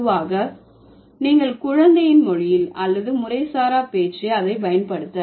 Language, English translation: Tamil, Generally you find it in the child's language or you use it in the informal speech